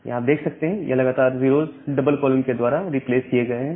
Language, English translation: Hindi, So, here these numbers of consecutive 0’s are replaced by a double colon